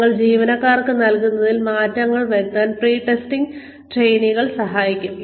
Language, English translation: Malayalam, Pre testing trainees will help us tweak, whatever we are giving to the employees